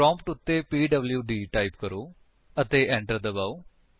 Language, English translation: Punjabi, Type at the prompt pwd and press Enter